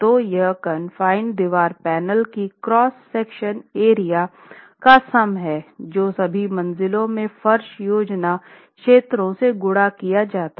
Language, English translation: Hindi, So, it's the total cross sectional area of the confined wall panels in one direction divided by the sum of the floor plan areas in all the floors